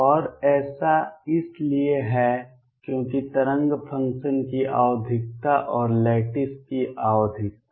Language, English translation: Hindi, And this is because the periodicity of the wave function and periodicity of the lattice